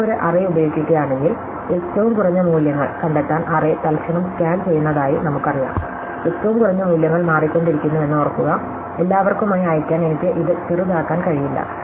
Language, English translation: Malayalam, If you use an array, then as we know scan the array each time to find the minimum values, remember that the minimum of values keep changing, I cannot sort it once in for all